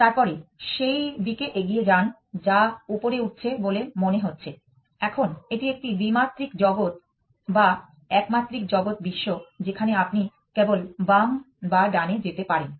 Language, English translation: Bengali, Then, move forward to that direction which seems to be going up, now this is a two dimensional world or a one dimensional world in which you can only move left or right